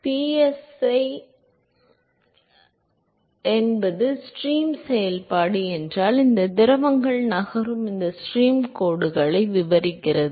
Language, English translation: Tamil, So, if psi is the stream function, which describes these stream lines with which the fluids are fluid is moving